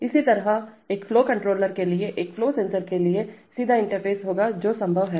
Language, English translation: Hindi, Similarly for a flow controller there will be direct interface to a flow sensor that is possible